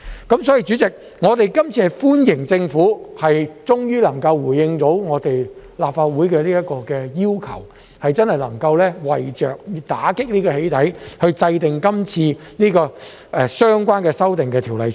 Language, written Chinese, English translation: Cantonese, 所以，代理主席，我們歡迎政府終於能夠回應立法會的要求，真的能夠為着打擊"起底"行為而制定今次的《條例草案》。, So Deputy President we welcome the fact that the Government finally responds to the Legislative Councils request and really makes an attempt to combat doxxing by formulating this Bill